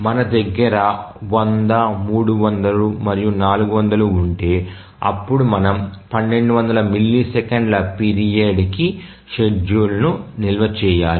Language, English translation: Telugu, So, if we have 100, 300 and let's say 400, then we need to store the period the schedule for a period of 1,200 milliseconds